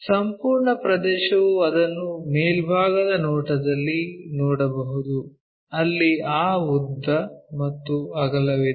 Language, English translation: Kannada, The complete area one can really see it in the top view, where we have that length and also breadth